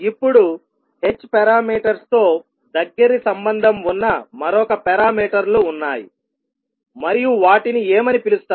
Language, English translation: Telugu, Now, there is another set of parameters which are closely related to h parameters